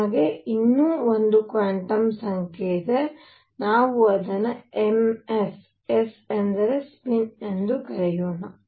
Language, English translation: Kannada, So now, we have one more quantum number; let us call it m s, s for a spin